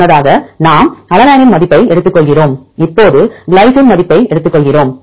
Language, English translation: Tamil, Earlier we take the value of alanine now we take value of glycine